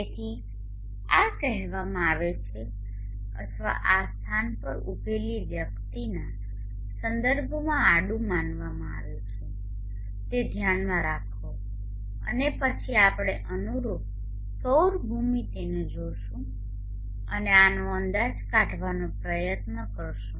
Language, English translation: Gujarati, So this is said or this is considered as horizontal with respect to a person standing at the locality keep that in mind and then we will look at the corresponding solar geometry and try to estimate this